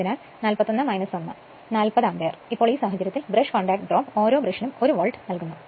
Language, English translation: Malayalam, So, 40 ampere, now in this case, the brush contact drop is given per brush 1 volt